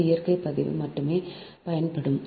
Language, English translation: Tamil, only this natural log will use